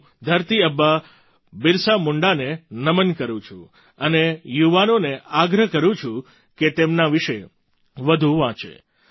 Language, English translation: Gujarati, I bow to 'Dharti Aaba' Birsa Munda and urge the youth to read more about him